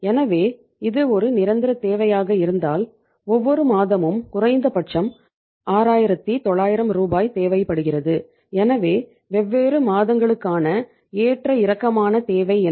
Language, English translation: Tamil, So if it is a permanent requirement every month require 6900 Rs as minimum so what is the fluctuating requirement